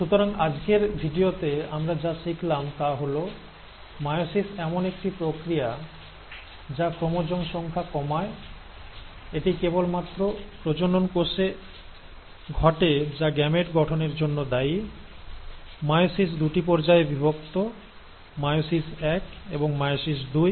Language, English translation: Bengali, So what have we learnt in today’s video is that meiosis is a process which allows for reduction of chromosome, it happens only in the reproductive cells which are responsible for formation of gametes, and meiosis is divided into two stages, meiosis one and meiosis two